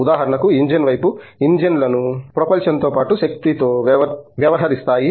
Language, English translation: Telugu, On the engine side for example, engines go along with not only propulsion, but also power